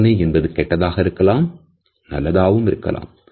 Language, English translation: Tamil, A smell can be positive as well as a negative one